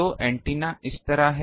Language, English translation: Hindi, So, antenna is like this